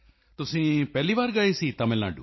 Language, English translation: Punjabi, Was it your first visit to Tamil Nadu